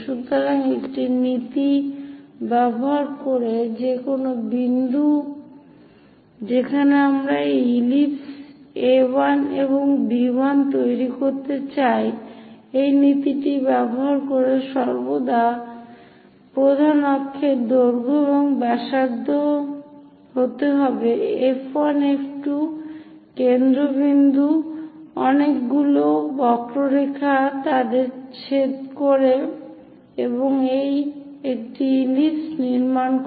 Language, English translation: Bengali, So, using a principle any point where we would like to construct these ellipse A 1 plus B 1 always be major axis length using that principle and radius is F 1 F 2 the foci centres, make many arcs intersect them and construct an ellipse this is